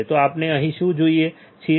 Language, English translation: Gujarati, So, what we see here